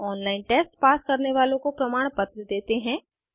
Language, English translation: Hindi, Gives certificates to those who pass an on line test